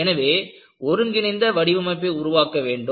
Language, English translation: Tamil, You have to have an integrated design